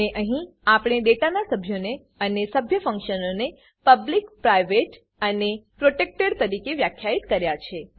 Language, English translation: Gujarati, And here we have defined the Data members and the member functions as public, private and protected